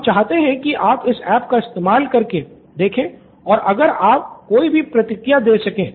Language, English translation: Hindi, We would like you to go through this app and give any feedback if you can